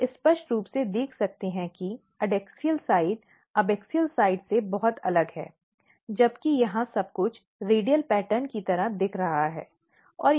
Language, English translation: Hindi, You can clearly see the adaxial side is very different than the abaxial side whereas, here everything is looking like radicalradial pattern